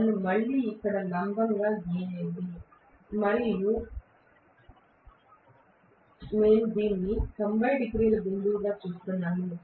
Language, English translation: Telugu, Let me again draw perpendicular here and I am looking at actually this as, you know the 90 degree point